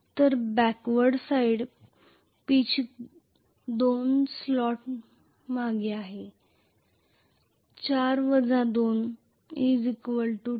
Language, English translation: Marathi, So backward side pitch is 2 slots behind that is 4 minus 2 is 2